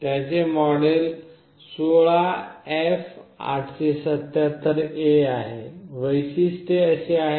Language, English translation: Marathi, This is one of the model which is 16F877A; the feature is like this